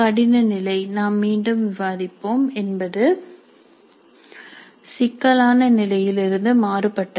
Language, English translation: Tamil, The difficulty level we will discuss again is different from complexity level